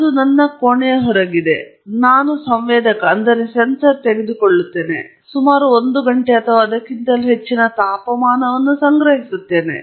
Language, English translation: Kannada, That is outside my room, I take a sensor and collect ambient temperature for about may be an hour or so